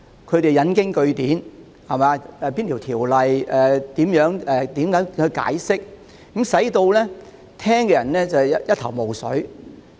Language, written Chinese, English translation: Cantonese, 他們引經據典，講述按哪條條例應如何解釋，令人聽得一頭霧水。, They quoted a lot of reference to explain how certain provisions should be interpreted according to specific ordinances which is really puzzling